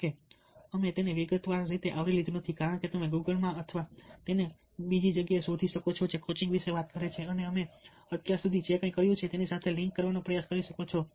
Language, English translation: Gujarati, however, because we have not covered it in a detailed way, you might google and search for certain sights which talk about coaching and try to link it with whatever we have done so far